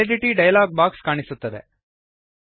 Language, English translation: Kannada, The Validity dialog box appears